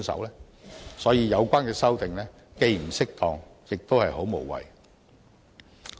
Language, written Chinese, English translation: Cantonese, 因此，有關的修訂既不適當，亦很無謂。, Therefore the proposed amendments are inappropriate and superfluous